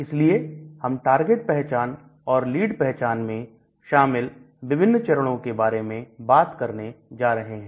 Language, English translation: Hindi, So, we are going to talk about the various steps involved in target identification and lead identification